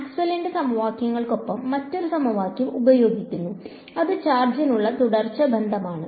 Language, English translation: Malayalam, Then there is another equation which is used alongside Maxwell’s equations which is the continuity relation for charge